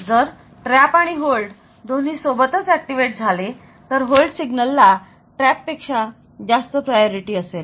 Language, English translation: Marathi, So, if trap and hold both are activated simultaneously then hold has got the higher priority than the trap